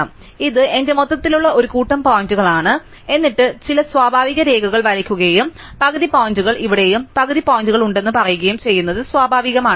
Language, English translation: Malayalam, So, this is my overall set of points, then this natural to try and draw some kind of a line and say that half the points are here and half the points are there